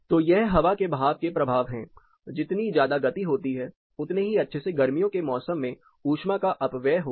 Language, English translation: Hindi, So, these are the effects of air movement; higher the velocities better the heat losses happened during summer